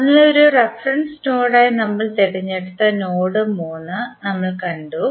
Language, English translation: Malayalam, So, we have seen that the node 3 we have chosen as a reference node